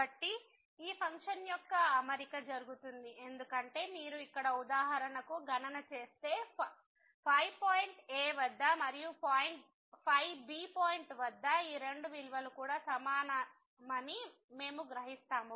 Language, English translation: Telugu, So, for the setting of this function is done because if you compute here for example, the at the point and at the point then we will realize that these two values are also equal